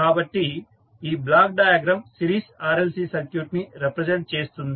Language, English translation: Telugu, So, this block diagram will represent the series RLC circuit